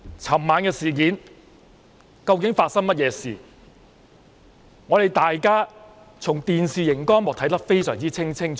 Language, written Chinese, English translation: Cantonese, 昨晚發生甚麼事，大家從電視熒幕看得非常清楚。, We have seen very clearly on the television what happened last night